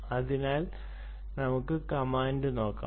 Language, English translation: Malayalam, so let us see the command